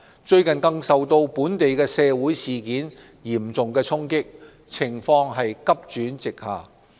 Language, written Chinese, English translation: Cantonese, 最近更受到本地社會事件嚴重衝擊，情況急轉直下。, The situation showed an abrupt deterioration recently due to the severe impacts of the local social incidents